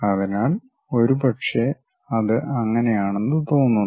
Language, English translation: Malayalam, So, maybe it looks like that